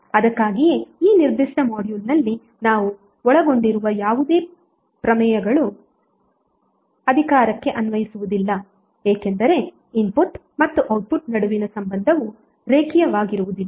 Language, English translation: Kannada, So that is why whatever the theorems we will cover in this particular module will not be applicable to power because the relationship between input and output is not linear